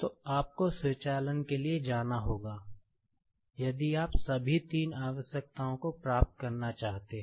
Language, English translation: Hindi, So, you will have to go for automation, if you want to achieve all three requirements